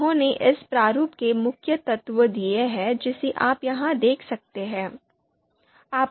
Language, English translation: Hindi, They have given the you know main elements of this format that you can see here